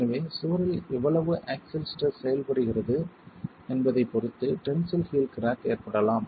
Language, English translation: Tamil, So, tensile heel cracking might happen depending on how much axial stress is acting on the wall